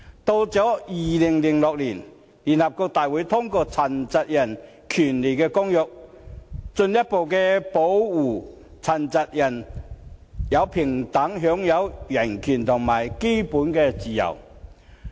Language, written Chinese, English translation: Cantonese, 到了2006年，聯合國大會通過《殘疾人權利公約》，進一步保護殘疾人士平等享有人權和基本自由。, In 2006 the General Assembly of the United Nations passed the United Nations Convention on the Rights of Persons with Disabilities which further affirms that persons with disabilities can equally enjoy human rights and basic freedom